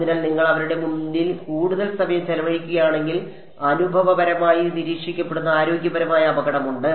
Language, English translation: Malayalam, So, if you spend too much time in front of them there is a health risk which empirically has been observed